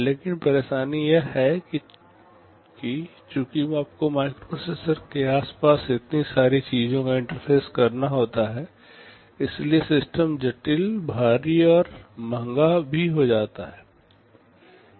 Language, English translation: Hindi, But, the trouble is that since you have to interface so many things around a microprocessor, the system becomes complex, bulky and also expensive